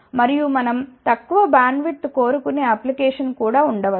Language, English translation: Telugu, And, you may have application where we want smaller bandwidth